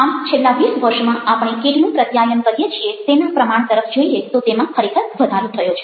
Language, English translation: Gujarati, so if we are looking at the amount of communication we are doing, in twenty years it has realty grown